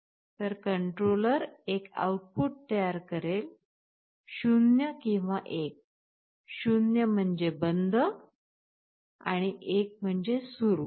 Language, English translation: Marathi, So, controller will be generating a single output, which is 0 or 1, 0 means off and 1 means on